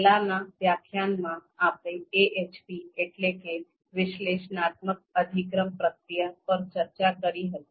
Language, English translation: Gujarati, So in previous few lectures, we have been discussing AHP, that is Analytic Hierarchy Process